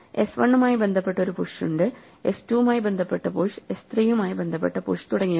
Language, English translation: Malayalam, So there is a push associated with s1, that the push associated is s2, the push associated with s3 and so on